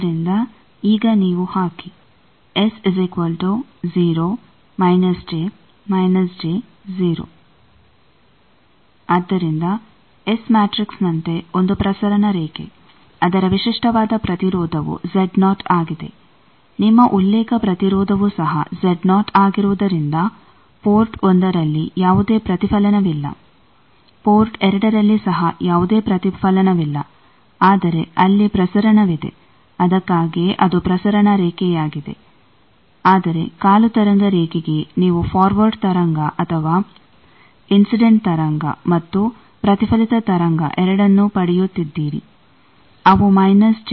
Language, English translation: Kannada, So, a transmission line as S matrix that if the transmission line with characteristic impedance Z 0 your reference impedance is also Z 0, then there is no reflection at port1 also at port2 there is no reflection, but there is a transmission that is why it is transmission line, but for a quarter wave line you are getting both in the forward wave and or incident wave and reflected wave, they are getting a phase change of minus j